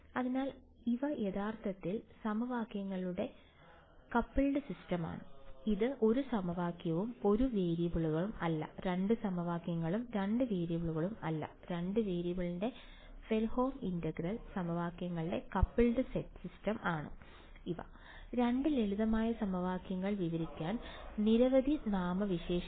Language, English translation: Malayalam, So, these are actually coupled system of equations, it is not 1 equation and 1 variables 2 equations in 2 variables, these are coupled set of Fredholm integral equations of the 1st kind right, many many adjectives to describe two simple equations